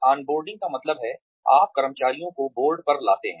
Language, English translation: Hindi, On boarding means, you bring the employees on board